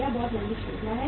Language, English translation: Hindi, It is a very long chain